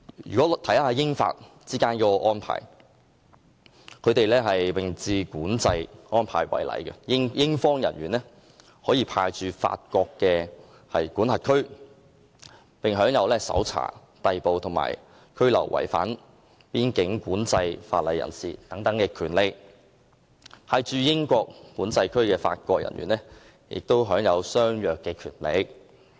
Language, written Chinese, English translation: Cantonese, 以英法之間實施的並置管制安排為例，英方人員可以派駐法國管制區，並享有搜查、逮捕和拘留違反邊境管制法例人士的權力，而派駐英國管制區的法國人員也享有相若權力。, In the case of the juxtaposed control arrangements between Britain and France for example British personnel may be deployed to the control zones in France and may exercise the powers to search arrest and detain persons violating the relevant border control legislation and French personnel deployed to the control zones in Britain have similar powers as their British counterparts